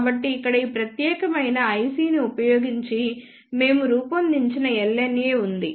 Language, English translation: Telugu, So, here is an LNA which we fabricated using this particular IC